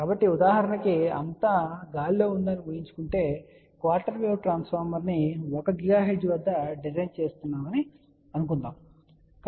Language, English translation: Telugu, So, for example, assuming that this is everything is in the air and we are designinglet us say quarter wave transformer at 1 gigahertz